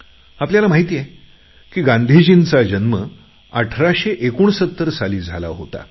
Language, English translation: Marathi, We know that Mahatma Gandhi was born in 1869